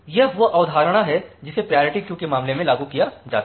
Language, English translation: Hindi, So, that is the concept which is applied in case of a priority queue